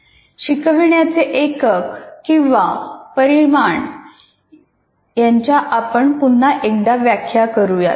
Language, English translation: Marathi, Now let us again redefine what an instructional unit is